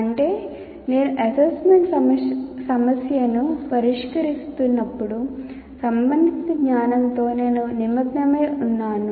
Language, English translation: Telugu, That means when I am solving the assignment problem, I am getting engaged with the knowledge concern